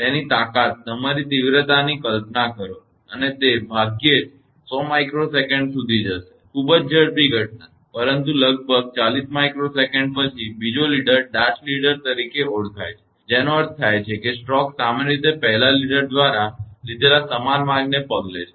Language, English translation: Gujarati, So imagine its strength, your intensity and it last about hardly 100 microsecond; very fast phenomena, but about 40 micro second later; a second leader called dart leader, means stroke usually following the same path taken by the first leader